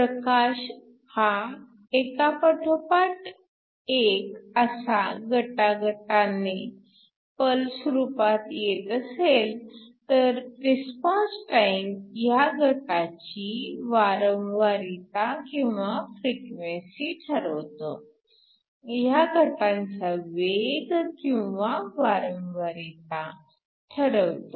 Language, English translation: Marathi, If you have light in the form of pulses, the response time determines the frequency of these pulses, determines the speed or the frequency of the pulse